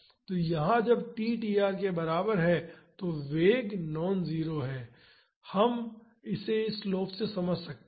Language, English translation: Hindi, So, here when t is equal to tr the velocity is non zero we can understand it from this slope